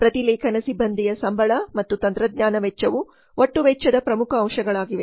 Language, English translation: Kannada, Salary of the transcription personnel and technology costs are the major elements of total cost